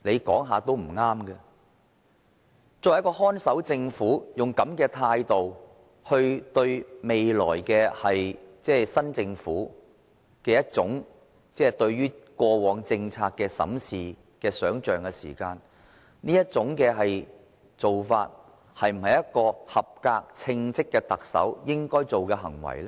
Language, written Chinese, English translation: Cantonese, 作為看守政府，以這種態度來對待未來的新政府對過往政策的審視的想象，這種做法是否一個合格、稱職的特首應該做的行為呢？, In his capacity as the Chief Executive of a caretaker Government is that what a competent Chief Executive should do and should such attitude be adopted to treat the new Governments evaluation of policies of the previous term of Government?